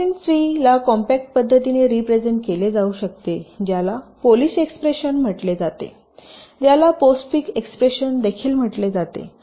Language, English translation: Marathi, now a slicing tree can be represented in a compact way by a, some something call a polish expression, also known as a postfix expression